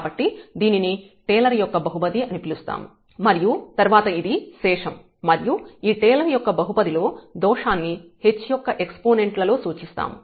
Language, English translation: Telugu, So, this is this is called the Taylor’s polynomial and then this is the remainder the error term in this Taylor’s polynomial which is denoted by the h power